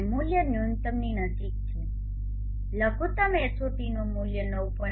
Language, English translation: Gujarati, 99 and the value is close to the minimum the value of the minimum HOT is 9